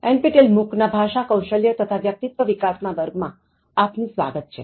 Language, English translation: Gujarati, Welcome back to NPTEL MOOC’s Enhancing Soft Skills and Personality